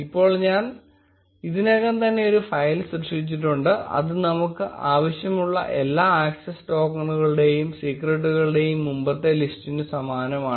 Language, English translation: Malayalam, Now I have already created a file, which is very similar to the previous ones with the list of all the access tokens and secrets which we want